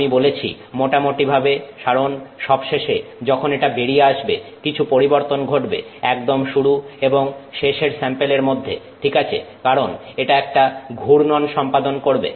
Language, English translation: Bengali, I say roughly because you are going to have some, you know, some variation in the end, right at the very beginning of the sample and the end of the sample because it goes through a turn